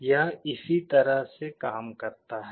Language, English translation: Hindi, This is how it works